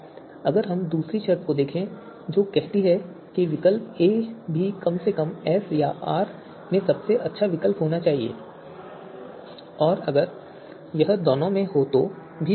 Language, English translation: Hindi, So if we look at the second condition which says that the alternative a dash should also be the best alternative at least in you know S or R and if it is in both then even better